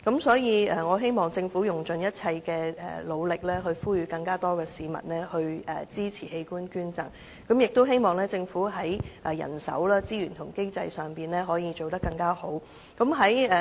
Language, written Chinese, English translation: Cantonese, 所以，我希望政府用盡一切力量，呼籲更多市民支持器官捐贈，亦希望政府在人手、資源及經濟上可以做得更好。, I thus hope that the Government can make every effort to call on more people to support organ donation and that it can make better provision for manpower resources and financial support